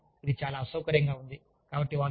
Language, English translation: Telugu, I mean, it is very uncomfortable